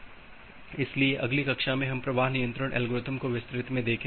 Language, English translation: Hindi, So, in the next class we will look into that flow control algorithm in details